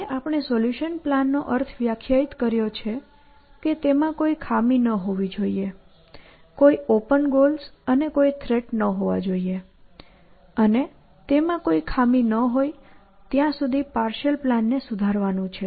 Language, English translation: Gujarati, And we have defined what does it mean for it to be a solution plan that it should have no flaws, no open goals and no threats, and task is to keep refining a partial plan till it has no flaws essentially